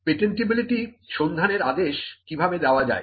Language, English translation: Bengali, How to order a patentability search